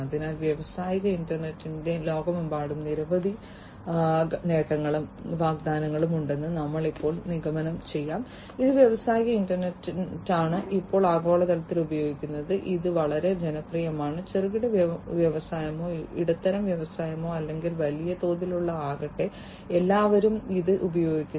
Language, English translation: Malayalam, So, now to conclude industrial internet has many benefits and promises across the globe, it is industrial internet is now globally used it is quite popular, everybody is using it whether it is a small scale industry or a medium scale industry, or a large scale industry